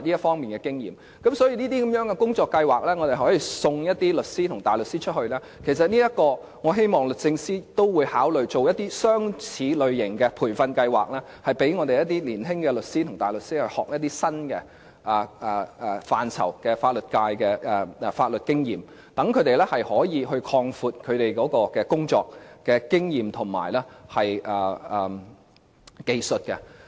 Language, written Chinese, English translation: Cantonese, 所以，透過這類工作計劃，可以送一些律師和大律師到外國學習，我希望律政司司長也會考慮類似的培訓計劃，讓香港一些年青律師和大律師學習一些新的範疇，累積法律經驗，讓他們可以擴闊其工作經驗和技術。, Through this kind of work plans we can send some solicitors and barristers to study overseas . I hope the Secretary for Justice can also consider similar training programmes so that some of Hong Kongs young solicitors and barristers can acquire new knowledge and accumulate legal experience to broaden their work experience and skills